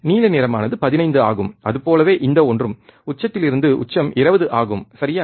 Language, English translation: Tamil, The blue one is 15 and this one so, peak to peak is 20, alright